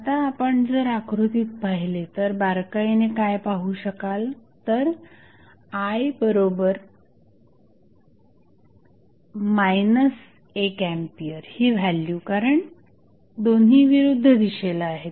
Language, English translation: Marathi, Now, if you see the figure what you can observe that the value I is nothing but minus of 1 ampere because both are in opposite direction